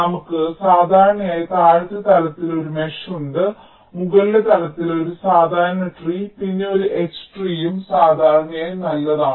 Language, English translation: Malayalam, so we normally have a mesh in the lower level and a regular tree at the upper level and then a h tree, usually ok, fine